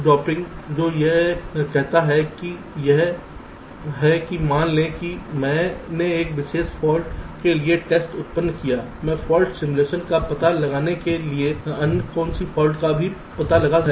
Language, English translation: Hindi, fault dropping: what it says is that suppose i have generated a test for a particular fault, i carry out fault simulation to find out what others faults are also getting detected